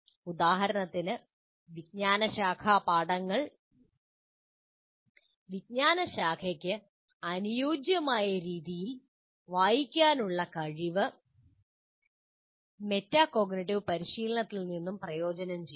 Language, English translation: Malayalam, For instance, students' ability to read disciplinary texts in discipline appropriate ways would also benefit from metacognitive practice